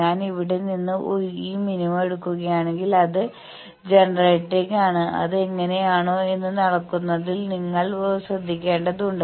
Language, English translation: Malayalam, If I take these minima from here it is towards generator, that you need to be careful in the measurement that whether it is that